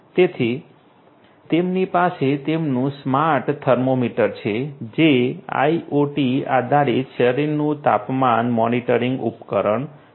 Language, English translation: Gujarati, So, they have their smart thermometer which is an IoT based body temperature monitoring device